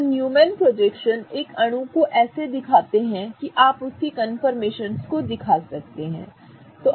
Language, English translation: Hindi, Okay, so Newman projections represent a molecule such that you are able to represent these confirmations